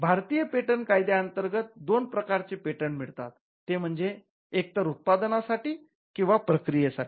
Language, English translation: Marathi, So, the two kinds of patents broadly that can be granted under the Indian patents act are either for a product or for a process